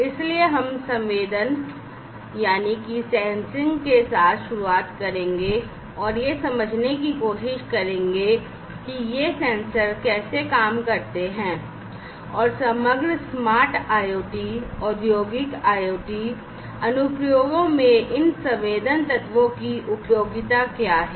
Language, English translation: Hindi, So, we will start with sensing and try to understand how these sensors work and what is the utility of these sensing elements in the overall smart IoT, Industrial IoT applications